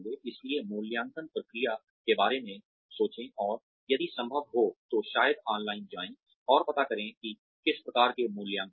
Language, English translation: Hindi, So, do think about the appraisal process, and if possible, maybe go online, and find out, what kinds of appraisals are there